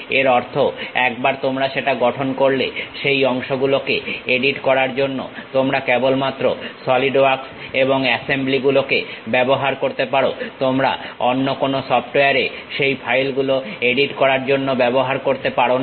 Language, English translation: Bengali, That means, once you construct that you can use only Solidworks to edit that parts and assemblies, you cannot use some other software to edit that file